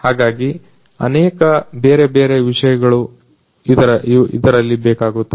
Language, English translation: Kannada, So, lot of lot of different things are required in it